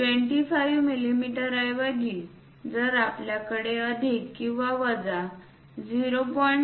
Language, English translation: Marathi, Instead of 25 mm if we have plus or minus 0